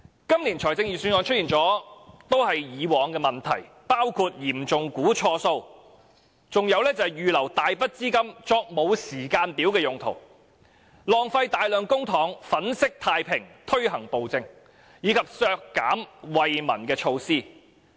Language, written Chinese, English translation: Cantonese, 今年的預算案亦出現以往的問題，包括嚴重估算錯誤；預留大筆資金作沒有時間表的用途；浪費大量公帑粉飾太平，推行暴政；以及削減惠民措施。, The Budget this year is also marked by the same old problems grave errors of surplus projection earmarking of huge funds for purposes with no time frames of implementation massive wastage of public money on whitewashing the despotic rule and rolling back of relief measures